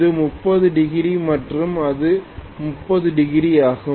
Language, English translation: Tamil, This is 30 degrees and this is also 30 degrees